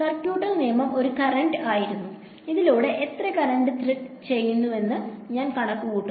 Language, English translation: Malayalam, Circuital law it was a current going I calculate how much current is threading through this